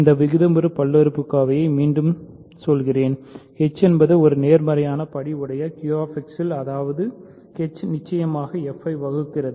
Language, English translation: Tamil, I am just repeating this rational polynomial so, h is in Q X of positive degree such that h divides f of course, in QX right